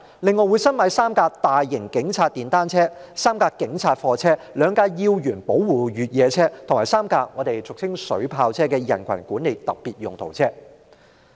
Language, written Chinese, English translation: Cantonese, 另外，警方申請新置3輛大型警察電單車、3輛警察貨車、2輛要員保護越野車，以及3輛俗稱水炮車的人群管理特別用途車。, Moreover the Police have made applications for the procurement of three police large motorcycles three police trucks two VIP protection cross - country vehicles and three specialised crowd management vehicles commonly known as water cannon vehicles